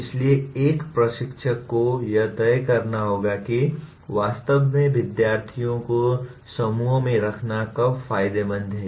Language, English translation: Hindi, So an instructor will have to decide when actually when is it beneficial to put students into groups